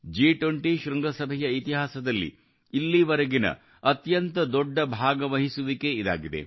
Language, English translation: Kannada, This will be the biggest participation ever in the history of the G20 Summit